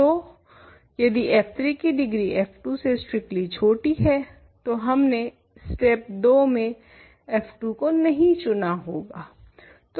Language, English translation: Hindi, So, if f 3 has strictly a smaller degree than f 2, we would not have chosen f 2 in step 2